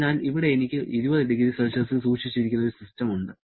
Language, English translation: Malayalam, So, here I have got a system which is kept at 20 degree Celsius